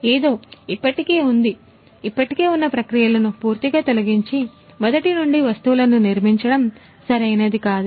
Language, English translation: Telugu, Something is already existing, there is no point in completely removing the existing processes and building things from scratch that is not good